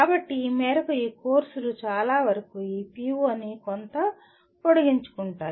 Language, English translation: Telugu, So to that extent majority of these courses do address this PO to a certain extend